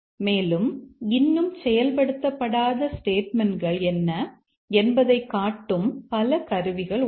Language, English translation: Tamil, And also many tools that display what are the statements that are still not got executed